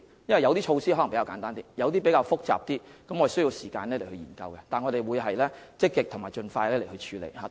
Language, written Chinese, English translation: Cantonese, 有些措施可能比較簡單，有些則比較複雜，我們需要時間研究，但我們會積極和盡快處理。, Some of them may be relatively simple yet some are rather complex . We need time to study them but we will do that proactively and expeditiously